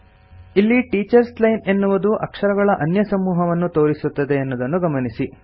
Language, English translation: Kannada, Notice, that the Teachers Line now displays a different set of characters